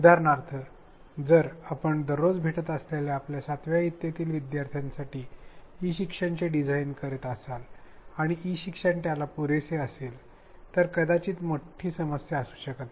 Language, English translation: Marathi, For example, if you are designing e learning for your 7th standard students where you meet them every day and the e learning is supplementary, it may not be such a big problem